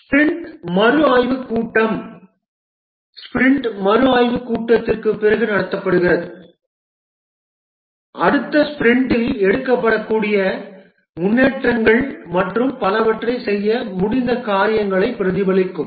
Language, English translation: Tamil, The sprint retrospective meeting is conducted after the sprint review meeting just to reflect on the things that have been done what could be improved to be taken up in the next sprint and so on